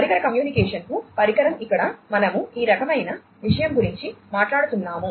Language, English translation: Telugu, Device to device communication here we are talking about this kind of thing